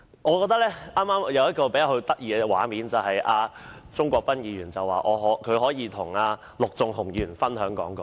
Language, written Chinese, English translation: Cantonese, 剛才出現一個比較有趣的畫面：鍾國斌議員表示，可以與陸頌雄議員分享講稿。, There was a rather interesting scene just now Mr CHUNG Kwok - pan said that he could share his script with Mr LUK Chung - hung